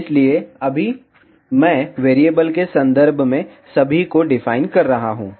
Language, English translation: Hindi, So, right now I am just defining all in terms of variable